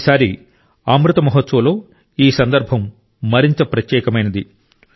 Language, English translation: Telugu, This time in the 'Amrit Mahotsav', this occasion has become even more special